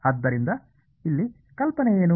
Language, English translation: Kannada, So, what is the idea here